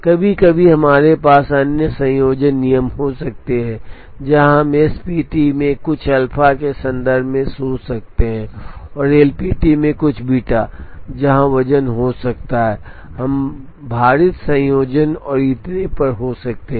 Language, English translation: Hindi, Sometimes we could have other combination rules where we could think in terms of some alpha into SPT plus some beta into LPT, where we could have weights, we could have weighted combinations and so on